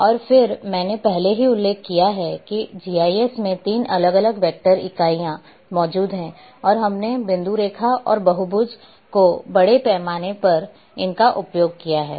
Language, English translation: Hindi, And then I have already mentioned that 3 different vector entities exist in GIS and we have extensively used them is point line and polygons